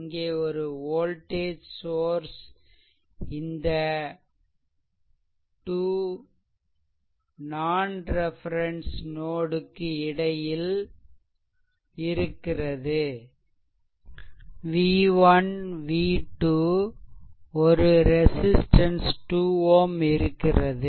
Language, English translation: Tamil, So, question is how to solve it look one voltage source is there eh in between you have 2 non reference node v 1 v 2 and one resistance is also here 2 ohm resistance right